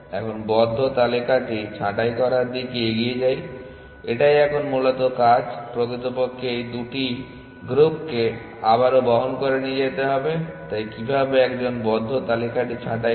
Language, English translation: Bengali, So, let us move on to now pruning the close list essentially which is the work, in fact, carried these two groups all over again, so how does one prune the close list